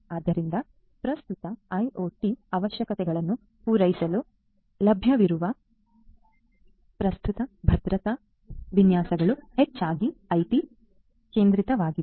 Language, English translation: Kannada, So, the current security architectures that are available particularly for catering to IoT requirements are mostly IT centric